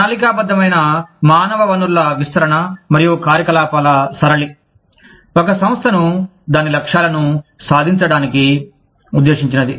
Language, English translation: Telugu, The pattern of planned human resource deployments and activities, intended to enable an organization, to achieve its goals